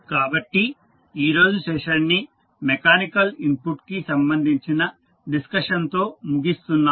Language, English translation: Telugu, So, we close our today’s session with the discussion related to the mechanical input which we just had